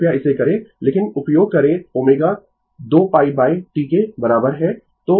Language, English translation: Hindi, You please do it, but you will use omega is equal to 2 pi by T